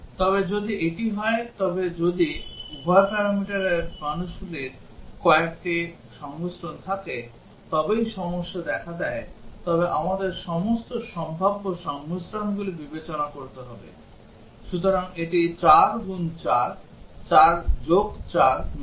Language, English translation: Bengali, But if this is the case that if only when both the parameters have some combination of values special values then only the problem occurs then we will have to consider all possible combinations, so that is 4 into 4, not 4 plus 4